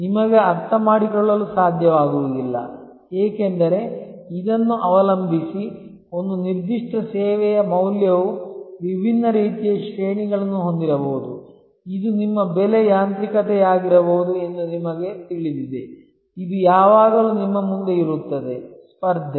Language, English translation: Kannada, You will not be able to understand, because depending on this, the value for one particular service may have different types of ranges, this is you know kind of a whatever may be your pricing mechanism, this is always there in front of you, the competition